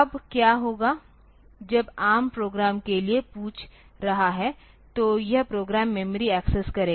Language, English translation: Hindi, Now, what will happen is that when the ARM is asking for program so it will access the program memory